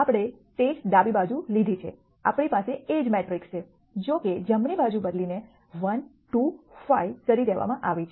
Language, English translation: Gujarati, We have taken the same left hand side we have the same a matrix; however, the right hand side has been modified to be 1 2 5